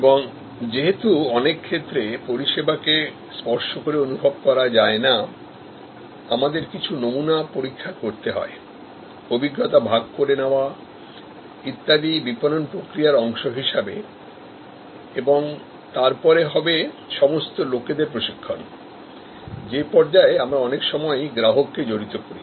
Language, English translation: Bengali, And then in many cases with the services intangible, we need to create some sampling test runs, experience sharing, etc as a part of the marketing process and then, all the training of people at which stage we often involve customers